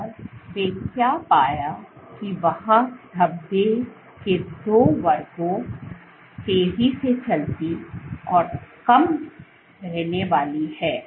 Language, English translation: Hindi, And what they found was there are two classes of speckles fast moving and short living